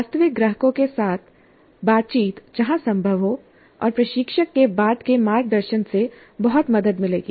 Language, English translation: Hindi, Interactions with real clients were possible and subsequent guidance from instructor would be of great help